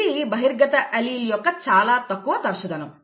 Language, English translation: Telugu, This is the very low frequency of the dominant allele